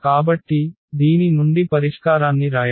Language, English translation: Telugu, So, writing the solution out of this